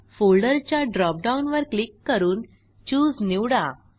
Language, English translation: Marathi, Click on the Folder drop down and select Choose